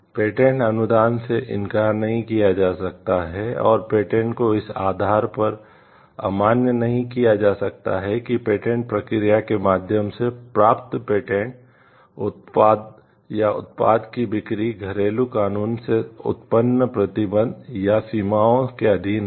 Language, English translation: Hindi, The grant of a patent may not be refused and the patent may not be invalidated on the ground that the sale of the patented product or of a product obtained by means of the patented process is subject to restrictions or limitations resulting from the domestic law